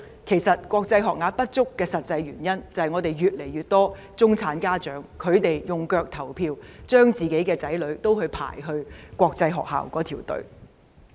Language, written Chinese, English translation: Cantonese, 其實，國際學校學額不足的實際原因，就是越來越多中產家長用腳來投票，將子女送到國際學校就讀。, In fact the real reason for an inadequate supply of international school places is that an increasing number of middle - class parents have voted with their feet by sending their children to international schools